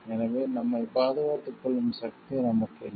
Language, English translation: Tamil, So, that we do not have the power to safeguard ourselves also